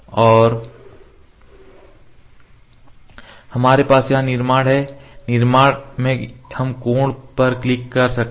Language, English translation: Hindi, And we have construction here in the construction we can click angle